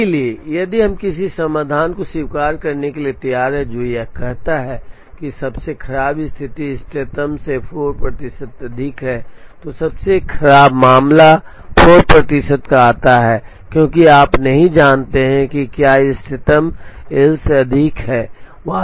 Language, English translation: Hindi, So, if we are willing to accept a solution which is say worst case is 4 percent above the optimum, the reason the worst case 4 percent comes because you do not know the if this optimum is more than L